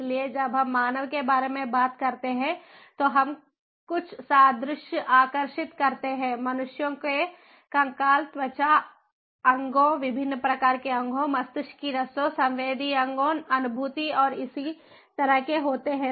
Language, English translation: Hindi, when we talk about a human, humans have the skeleton, the skin, the organs, different types of organs, brains, nerves, sensory organs, cognition and so on